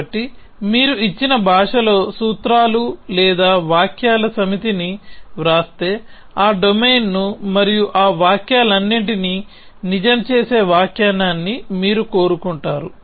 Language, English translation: Telugu, So, if you write a set of formulas or sentences in a given language and then you get find the domain and an interpretation which makes all those sentences true